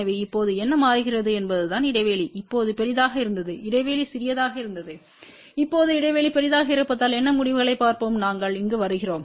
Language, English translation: Tamil, So, only thing what it changes now is that the gap is now much larger earlier the gap was small now the gap is larger let us see what results we get here